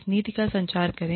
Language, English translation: Hindi, Communicate this policy